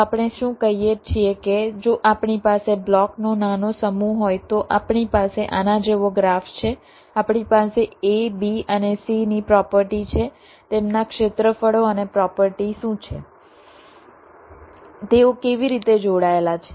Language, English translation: Gujarati, ok, so what we saying is that if we have a small set of blocks, we have a graph like this, we have the properties of a, b and c, what are their areas and their properties, how they are connected